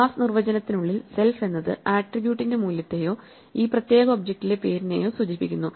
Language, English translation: Malayalam, Inside the class definition, self refers to the value of the attribute or the name within this particular object